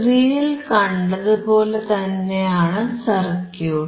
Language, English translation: Malayalam, Similar to the circuit that we have seen on the screen